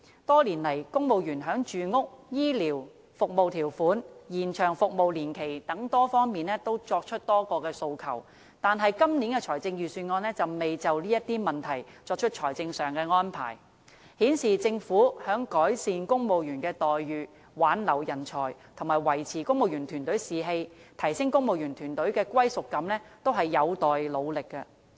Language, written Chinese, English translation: Cantonese, 多年來，公務員在住屋、醫療、服務條款、和延長服務年期等多方面提出多項訴求，但今年的財政預算案卻未就這些問題作出財政上的安排，顯示政府在改善公務員待遇、挽留人才、維持公務員團隊士氣和提升公務員團隊的歸屬感方面，也是有待努力的。, Throughout the years the civil servants have made a number of demands in respects such as housing health care terms of service extension of service and so on . The Budget this year however has not provided financial arrangement addressing these issues . This shows that a lot is left to be done by the Government on improving the remunerations of the civil service talent retention up - keeping of morale and boosting their sense of belonging